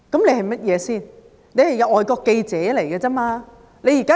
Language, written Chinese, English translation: Cantonese, 它只是一個外國記者組織而已。, It is just an organization of foreign journalists